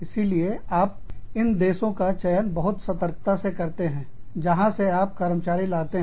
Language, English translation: Hindi, So, you select these countries, very carefully, where you can get, employees from